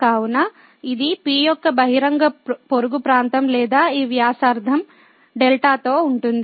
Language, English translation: Telugu, So, this is the open neighborhood of P or with radius this delta